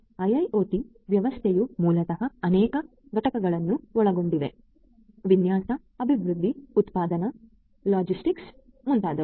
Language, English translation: Kannada, IoT system basically consists of many units; design, development, manufacturing logistics and so on